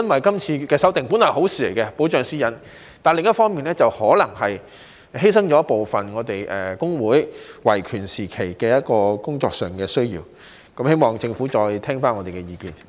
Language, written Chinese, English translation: Cantonese, 今次的修訂旨在保障私隱本來是好事，但另一方面，可能會犧牲了我們工會在維權工作上的部分權利，希望政府再聆聽我們的意見。, The current legislative amendment exercise is good in that it seeks to protect privacy but it may sacrifice some of the rights of trade unions in upholding the rights of workers . I hope that the Government will listen to our views